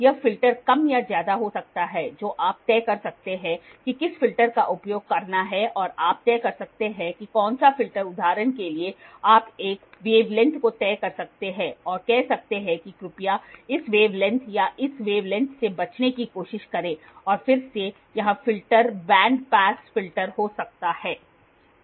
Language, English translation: Hindi, This filters can be more or less you can decide what filter to use and you can decide what filter for example, you can fix a wave length and say please try to avoid this wave length or this wave length it again here filters can be can be bandpass filter